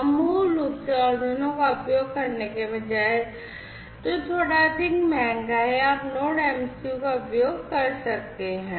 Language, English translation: Hindi, So, basically instead of using Arduino which is a little bit more expensive you could use the Node MCU